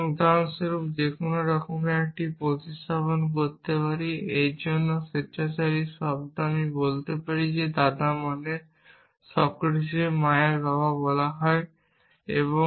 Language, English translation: Bengali, I could substitute any for example, arbitrary term for it I could say the grandfather of which means let us say the father of mother of Socratic